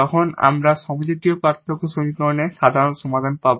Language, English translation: Bengali, We will be talking about the solution of non homogeneous linear equations